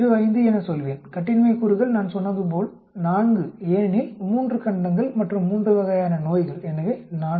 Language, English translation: Tamil, 05 the degrees of freedom as you know I said is 4 because 3 continents and 3 types of disease so 4 so it comes out to be 9